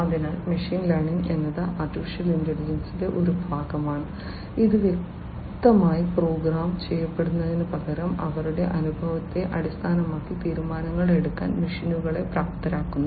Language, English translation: Malayalam, So, machine learning is a part of AI which empowers the machines to make decisions based on their experience rather than being explicitly programmed